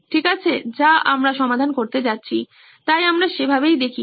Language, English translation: Bengali, Okay, which is what we are going to solve, so that’s how we look at